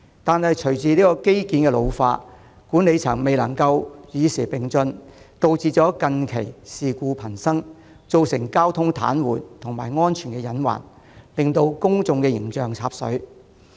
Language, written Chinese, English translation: Cantonese, 然而，隨着機件老化，管理層又未能與時並進，導致近期事故頻生，造成交通癱瘓和安全隱患，令公眾形象"插水"。, However ageing components and the failure of the Management in keeping abreast of the times resulted in the frequent occurrence of incidents recently that brought traffic to a standstill and created safety hazards causing a dramatic deterioration in the public image of the corporation